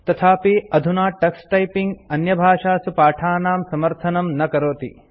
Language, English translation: Sanskrit, However, currently Tux Typing does not support lessons in other languages